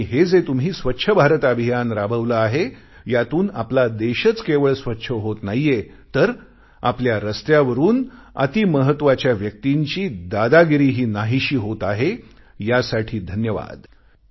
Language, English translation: Marathi, And the Swachch Bharat Campaign that you have launched will not only clean our country, it will get rid of the VIP hegemony from our roads